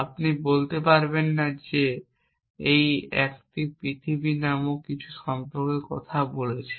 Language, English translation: Bengali, You cannot say that this 1 is talking about something called the earth